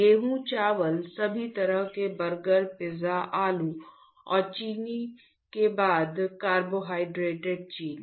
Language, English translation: Hindi, Wheat, rice all the kind of burgers, pizza potato, then sugar after carbohydrates sugar